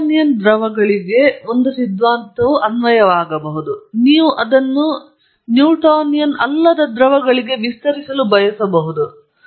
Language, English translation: Kannada, A theory may be applicable to Newtonian fluids, you may want to extend it to non Newtonian fluids